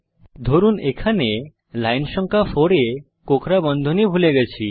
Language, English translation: Bengali, Suppose here, at line number 4 we miss the curly brackets